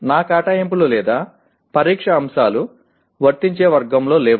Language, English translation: Telugu, My assignments or test items are not in the Apply category